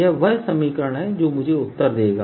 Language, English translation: Hindi, this is the equation that give me the answer